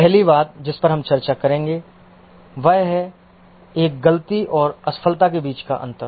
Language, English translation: Hindi, The first thing we will discuss is the difference between a fault and a failure